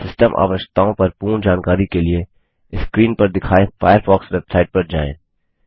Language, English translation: Hindi, For complete information on System requirements, visit the Firefox website shown on the screen